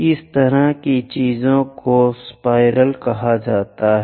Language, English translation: Hindi, These kind ofthings are called spiral